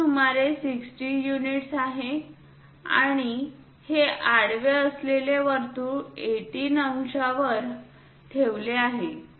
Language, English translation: Marathi, It is some 60 units and this circle with horizontal is placed at 18 degrees